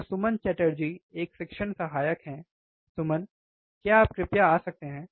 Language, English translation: Hindi, So, Suman Chatterjee he is a teaching assistance, Suman, please can you please come